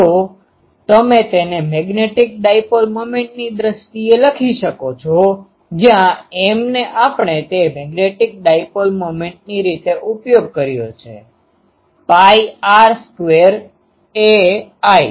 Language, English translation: Gujarati, So, you can write it in terms of magnetic dipole moments as where M we have used that magnetic dipole moments pi r square a i